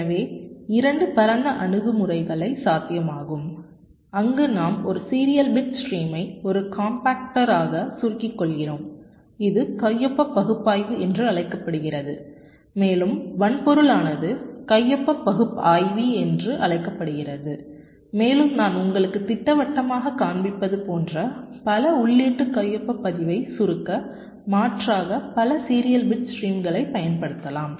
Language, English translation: Tamil, so two broad approaches are possible: one where we compact a single serial bit stream into a compactor this is called signature analysis and the hardware is called signature analyzer and as an alternative, several serial bit streams can be compacted like